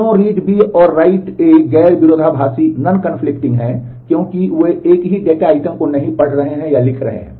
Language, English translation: Hindi, Why read B and write A and non conflicting, because they are not reading and writing to the same data item